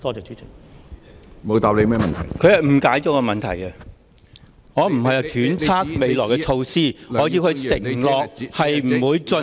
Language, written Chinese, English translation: Cantonese, 他誤解了我的質詢，我不是揣測未來的措施，我要他承諾不會進行......, He has misunderstood my question . I am not speculating about the future measures; I want him to undertake that he will not